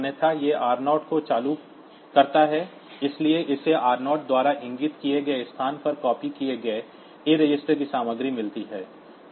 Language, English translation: Hindi, Otherwise, it implements r 0, so, it gets the content of a register copied onto the location pointed to by r 0